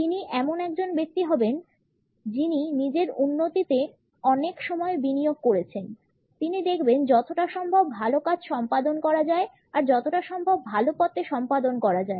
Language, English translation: Bengali, He or she would be a person who has invested a lot of time in self improvement; in looking as better as possible in performing as better as possible, performing in as better a way as possible